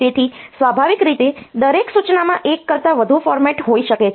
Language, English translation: Gujarati, So, naturally each instruction may have more than one format